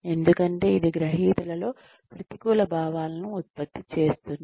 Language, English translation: Telugu, Because, it produces negative feelings, among recipients